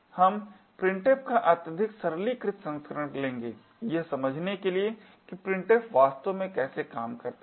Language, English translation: Hindi, We will take a highly simplified version of printf just to understand how printf actually works